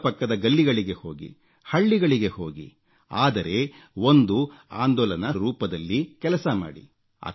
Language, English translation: Kannada, Go to settlements in your neighborhood, go to nearby villages, but do this in the form of a movement